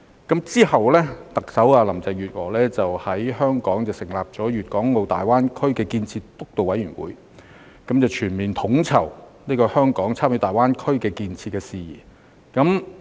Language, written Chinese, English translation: Cantonese, 其後，特首林鄭月娥在香港成立粵港澳大灣區建設督導委員會，全面統籌香港參與大灣區建設的事宜。, Subsequently Chief Executive Carrie LAM set up the Steering Committee for the Development of the Guangdong - Hong Kong - Macao Greater Bay Area in Hong Kong for overall coordination of matters relating to Hong Kongs participation in the GBA development